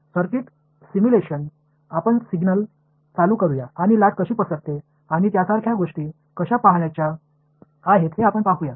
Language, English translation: Marathi, Let us say circuit simulation you turn a signal on and you want to see how the wave spreads and things like that right